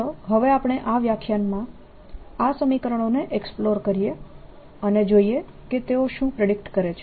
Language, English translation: Gujarati, let us now see, explore this equations a better in this lecture and see what they predict